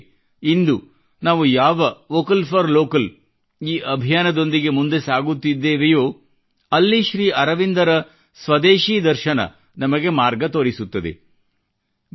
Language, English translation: Kannada, Just as at present when we are moving forward with the campaign 'Vocal for Local', Sri Aurobindo's philosophy of Swadeshi shows us the path